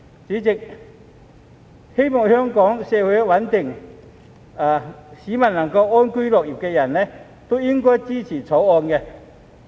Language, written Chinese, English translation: Cantonese, 主席，希望香港社會穩定、市民能夠安居樂業的人均應該支持《條例草案》。, President those wishing for the stability of the Hong Kong society and the public living and working in peace and contentment should support the Bill